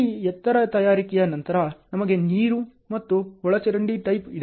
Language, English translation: Kannada, After this height preparation, we have water and sewer tap